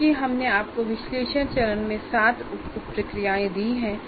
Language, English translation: Hindi, Because we have given you 4 plus 3, 7 sub processes in analysis phase